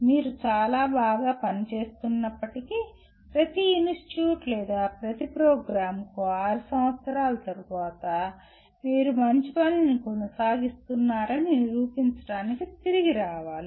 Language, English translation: Telugu, But even if you are performing extremely well, one every institute or every program has to come back after 6 years to prove that you are continuing to do well, okay